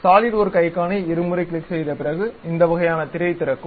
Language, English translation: Tamil, After double clicking the Solidworks icon, we will have this kind of window